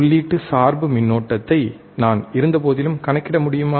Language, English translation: Tamil, Can I still calculate input bias current, right